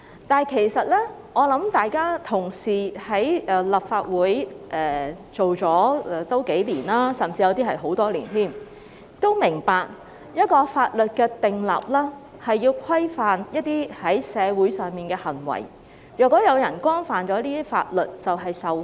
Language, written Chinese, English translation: Cantonese, 但是，各位同事已經在立法會工作數年，有些同事甚至工作了很多年，我想大家都明白，訂立法律是要規範社會上的一些行為，如果有人干犯法律便要受罰。, However given that Honourable colleagues have already been working in the Legislative Council for several years whereas some Honourable colleagues have even been working here for many years I think all of us should understand that the purpose of enacting a law is to impose regulations on some behaviours in society . Those who have violated the law should be penalized